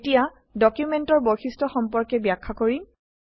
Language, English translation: Assamese, Now I will explain about Document Properties